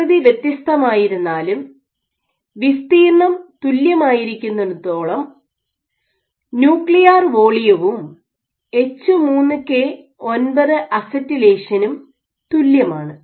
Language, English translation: Malayalam, So, long as the area was same, so the nuclear volume and H3K9 acetylation was identical